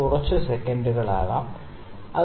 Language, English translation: Malayalam, So, it might be some seconds, ok